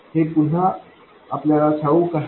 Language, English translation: Marathi, This is again something that we know